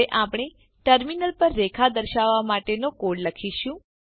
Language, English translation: Gujarati, We will now write a code to display a line on the Terminal